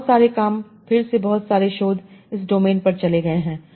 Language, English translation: Hindi, A lot of work again a lot of research has gone into this domain